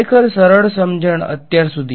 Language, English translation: Gujarati, Really simple manipulation so far ok